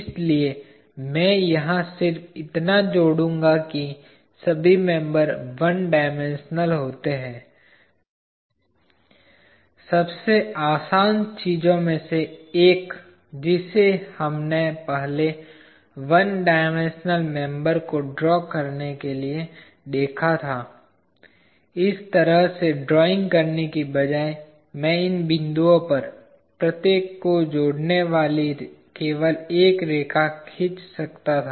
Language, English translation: Hindi, So, I will just add over here, all members are one dimensional, one of the easiest thing that we looked at earlier of drawing a one dimensional member is, instead of drawing like this I could have drawn just a single line joining each one of these points